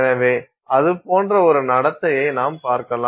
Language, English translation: Tamil, So, you may see a behavior that begins to look like that